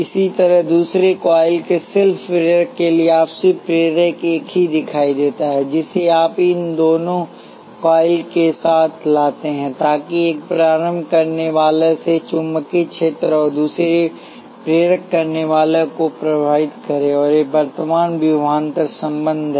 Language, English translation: Hindi, Similarly for the self inductance of the second coil is mutual inductance appears only one you bring these two coils together, so that the magnetic field from one inductor and influences the other inductor, and these are the current, voltage relationships